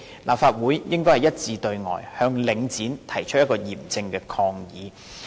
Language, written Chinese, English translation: Cantonese, 立法會應該一致對外，向領展提出嚴正抗議。, The Legislative Council should stand united to make a solemn protest against Link REIT